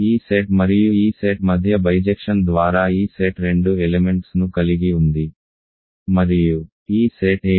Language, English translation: Telugu, By the bijection between this set and this set this set has two elements right and what is this set